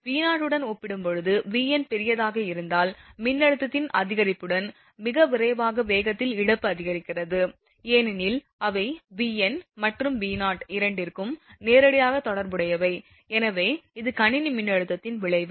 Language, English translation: Tamil, So, when V n is large as compared to V 0 corona loss increases at a very faster rate with increase in voltage because those are directly related to the your V n and your V 0 both, so this is the effect of system voltage